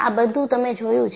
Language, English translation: Gujarati, Now, you have seen it